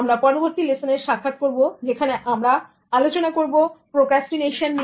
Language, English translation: Bengali, We'll meet in the next one which will be on procrastination